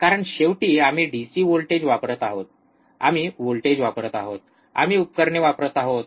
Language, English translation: Marathi, Because finally, we are applying DC voltage, we are applying voltage, we are using the equipment